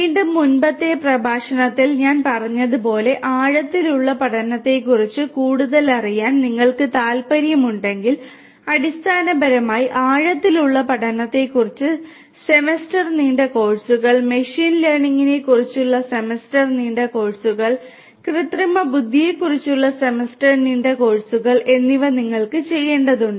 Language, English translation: Malayalam, And again, like I said in the previous lecture, if you are interested to know more about deep learning, there are courses you should basically do semester long courses on deep learning, semester long courses on machine learning, and semester long courses on artificial intelligence